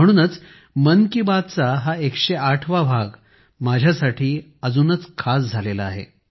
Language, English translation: Marathi, That's why the 108th episode of 'Mann Ki Baat' has become all the more special for me